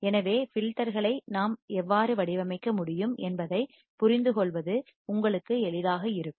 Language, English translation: Tamil, So, it will be easier for you to understand how we can design the filters